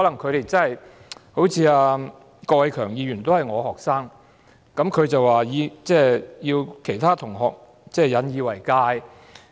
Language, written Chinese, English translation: Cantonese, 郭偉强議員也是我的學生，他提到其他同學要引以為鑒。, Mr KWOK Wai - keung was one of my students . He mentioned that the other classmates should learn a lesson from this